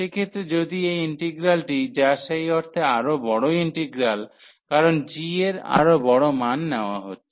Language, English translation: Bengali, So, in that case if this integral, which is the bigger integral in that sense, because g is taking larger values